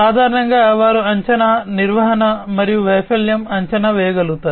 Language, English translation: Telugu, So, basically they are able to perform predictive maintenance and failure forecasting